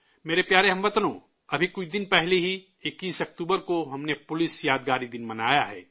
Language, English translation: Urdu, just a few days ago, on the 21st of October, we celebrated Police Commemoration Day